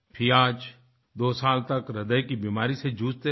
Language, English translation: Hindi, Fiaz, battled a heart disease for two years